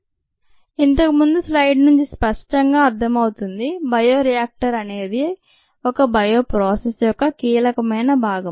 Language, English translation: Telugu, as was clear from the previous slide, the bioreactor is at the heart of a bioprocess